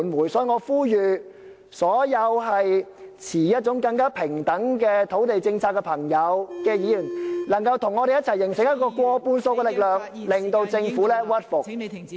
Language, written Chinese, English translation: Cantonese, 因此，我呼籲所有支持更平等土地政策的議員能夠與我們一起形成一股過半數的力量......, Hence I call upon all Members who support a more balanced land policy to join us to form a force of the majority